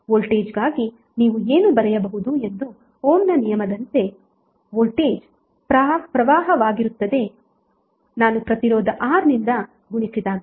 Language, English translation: Kannada, So as for Ohm’s law what you can write for voltage, voltage would be current I and multiplied by resistance R